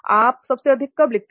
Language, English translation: Hindi, When do you think you write the most